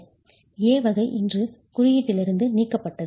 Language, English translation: Tamil, Category A is today removed from the code